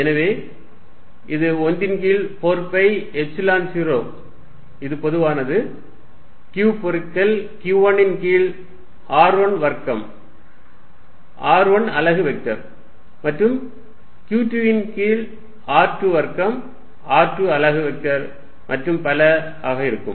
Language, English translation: Tamil, So, this is going to be 1 over 4 pi epsilon 0, which is common; q, q1 over r1 square r1 unit vector plus q2 over r2 square r2 unit vector plus so on